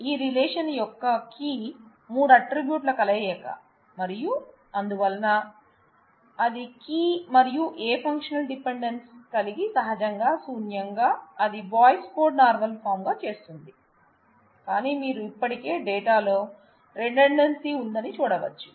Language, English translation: Telugu, So, the key of this relation is the union of all the three attributes and therefore, that being the key and no functional dependency holding on it, naturally vacuously makes it Boyce Codd normal form, but you can still see that there are redundancy in that is data